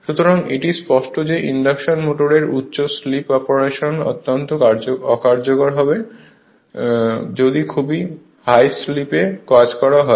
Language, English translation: Bengali, So, it is there it is then evident that high slip operation of induction motor would be highly inefficient and if you operate at a very high slip